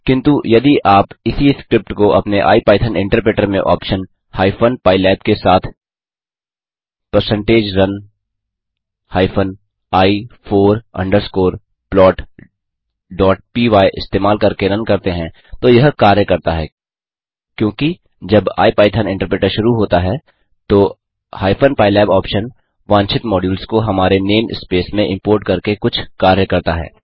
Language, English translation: Hindi, But if you try to run the same script using#160%run i four underscore plot.py in your IPython interpreter started with the option hypen pylab it will work, because the hypen pylab option does some work for us by importing the required modules to our name space when ipython interpreter starts